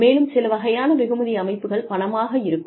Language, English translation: Tamil, And, some types of rewards systems, that are, there are financial